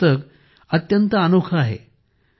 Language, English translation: Marathi, This book is very unique